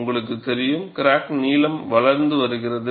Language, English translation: Tamil, You know, the crack is growing in length